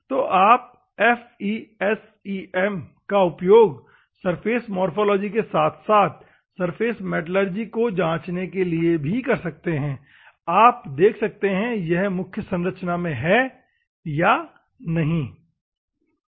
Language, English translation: Hindi, You can use FESEM for checking the surface morphology as well as surface metallurgy, if there is any elemental composition is there or not, ok